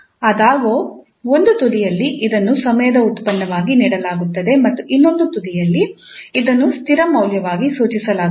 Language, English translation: Kannada, However, at one end it is as, it is given as a function of time and at the other end this is prescribed as a constant value